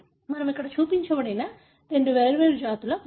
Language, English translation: Telugu, So, what we have shown here is the skull of two different species